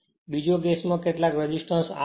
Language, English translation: Gujarati, First case given, second case some resistance R is inserted